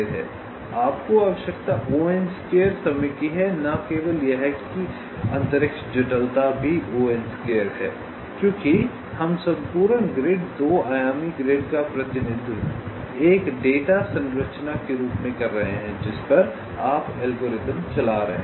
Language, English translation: Hindi, not only that, also space complexity is order n square because we are representing the entire grid, two dimensional grid, as a data structure on which you are running the algorithm